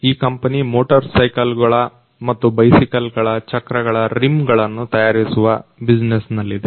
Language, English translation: Kannada, This particular company it is in the business of making the rims of wheels of motor cycles and bicycles